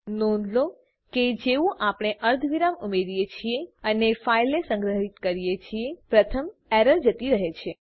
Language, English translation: Gujarati, notice that once we add the semi colon and save the file, the first error is gone